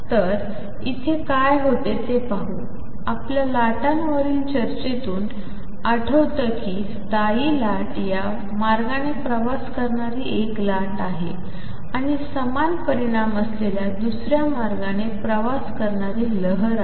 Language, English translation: Marathi, So, what happens here; is recall from our discussion on waves that a standing wave is a wave travelling this way and a wave travelling the other way with equal amplitude